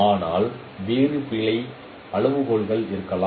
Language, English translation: Tamil, But there could be different other error criteria